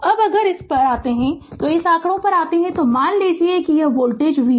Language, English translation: Hindi, Now if you come to this if you come to this figure so, first suppose if this voltage is v